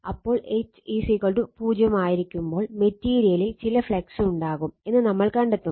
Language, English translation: Malayalam, So, you will find when H is equal to 0, some flux will be there in the material, this is actually call residual flux right